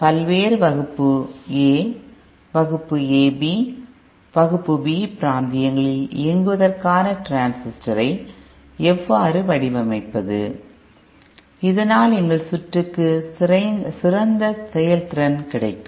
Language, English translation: Tamil, how to design transistor for it to be operating in the various Class A, Class AB and Class B regions, so that we get better efficiency in our circuit